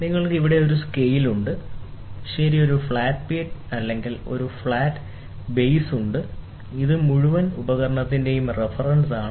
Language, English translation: Malayalam, You can see here there is a scale, ok, the arc there is a flat plate or a flat base; this is a reference for the entire instrument